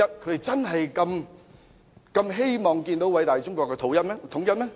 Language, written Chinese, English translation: Cantonese, 他真的如此希望偉大中國統一嗎？, Does he truly hope to see the reunification of the great China?